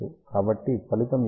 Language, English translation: Telugu, So, let us see what is the result